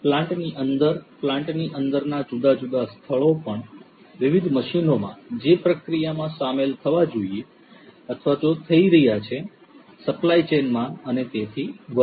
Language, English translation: Gujarati, Different locations in the plant within the plant also in different machines that are going to be involved in the process, in the supply chain and so on